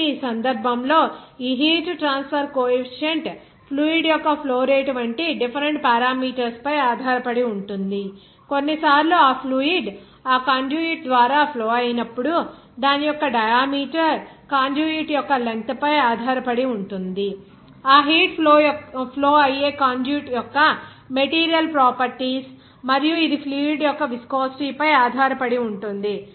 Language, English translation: Telugu, So, in this case this heat transfer coefficient depends on different parameters like that flow rate of the fluid, even sometimes the conduit through which that fluid will be flowing that diameter of that conduit, even length of the conduit as well as you can say that material properties of the conduit at which that heat will be flowing and also it depends on viscosity of the fluid